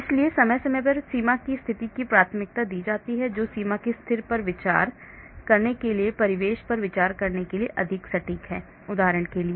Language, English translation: Hindi, So periodic boundary condition is generally preferred which is much more accurate for considering the surroundings, for considering the boundary condition For example